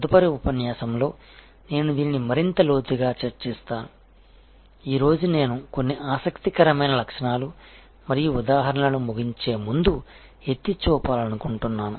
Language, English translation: Telugu, I will discuss this in greater depth in the next lecture, today I want to just point out before I conclude few interesting characteristics and examples